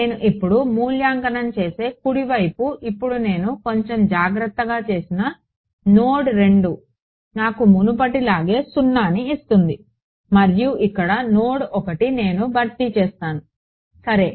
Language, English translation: Telugu, So, the right hand side which I evaluate now which now that I have done a little bit more carefully node 2 still gives me 0 as before and node 1 over here this is what I will replace over here ok